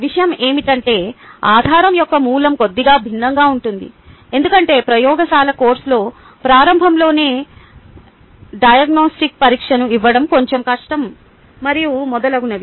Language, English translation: Telugu, only thing is that the source of the basis is a little different, because i its a little difficult to give a diagnostic test right in the beginning in a lab course, and so on, so forth